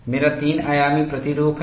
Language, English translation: Hindi, I have a nice three dimensional representation